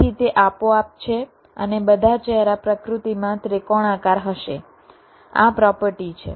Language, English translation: Gujarati, ok, so it is automatic, and all the faces will be triangular in nature